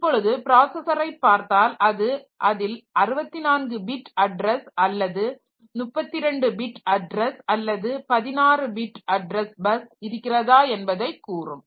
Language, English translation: Tamil, So, if you look into the processor, so it will tell it has got 64 bit address line or address bus or 32 bit address bus or 16 bit address bus